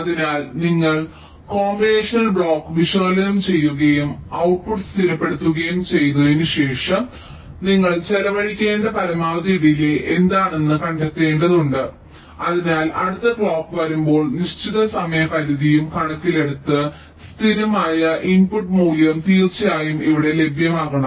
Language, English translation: Malayalam, so you have to analyze the combinational block and find out what is the maximum delay you have to spend after which the output gets stabilized so that when the next clock is comes, the stable input value should be available here, of course taking into account the set up time constraint as well